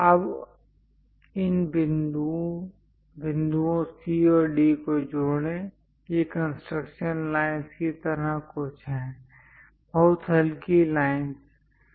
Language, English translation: Hindi, Now, join these points C and D; these are more like construction lines, very light lines